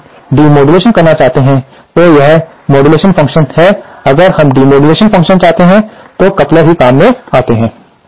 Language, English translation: Hindi, If we want to do the demodulation, this is the modulation function, if we want to do the demodulation function, then also couplers come in handy